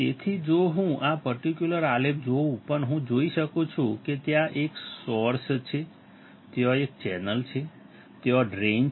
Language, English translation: Gujarati, So, if I see this particular plot, but I see there is a source; there is a channel, there is a drain